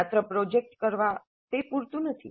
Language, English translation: Gujarati, Merely doing a project is not adequate